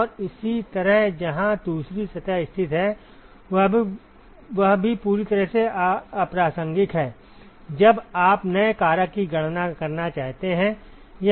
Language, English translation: Hindi, And similarly where the second surface is located is also completely irrelevant, when you want to calculate the new factor